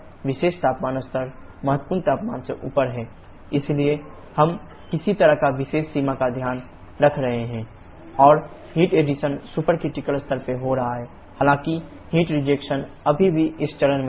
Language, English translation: Hindi, This particular temperature level is above the critical temperature, so we are somehow taking care of this particular limit, and the heat addition is taking place at supercritical level though heat rejection is still in this phase change dome